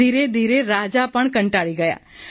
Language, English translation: Gujarati, Gradually even the king got fed up